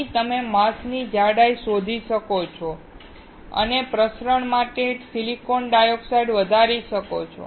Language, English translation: Gujarati, Here, you can see the mask thickness and can grow the silicon dioxide for diffusion